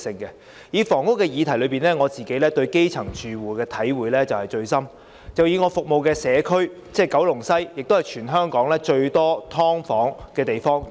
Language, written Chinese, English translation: Cantonese, 以房屋議題為例，我對基層住戶的體會最深，我服務的社區九龍西是全港最多"劏房"的地區。, Taking the subject of housing as an example I am most aware of the needs of the grass - roots households . Kowloon West the community I serve is the region with the largest number of subdivided units